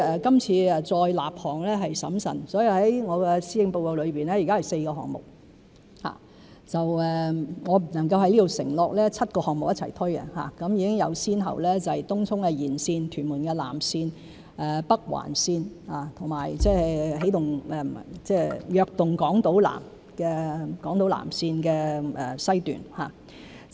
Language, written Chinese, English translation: Cantonese, 今次再立項是審慎的，所以在施政報告中有4個項目；我不能夠在此承諾7個項目會一同推進，已有先後次序，就是東涌綫延綫、屯門南延綫、北環綫，以及"躍動港島南"的南港島綫。, This time we have been prudent in initiating railway projects and therefore four projects are set out in the Policy Address . I cannot undertake here that all the seven projects will be taken forward concurrently for priorities have been set in the order of Tung Chung Line Extension Tuen Mun South Extension Northern Link and South Island Line West in the Invigorating Island South initiative